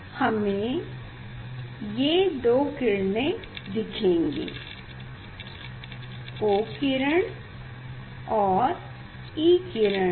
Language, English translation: Hindi, we will see this two rays; O rays and E rays